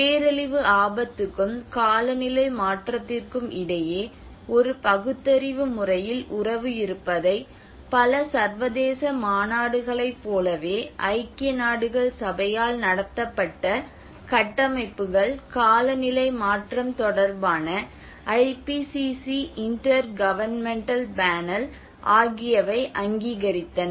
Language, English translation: Tamil, And that is where like many of the international conventions, frameworks held by United Nations, IPCC the Intergovernmental Panel on climate change have recognized that there is a relationship between disaster risk and climate change in a rational manner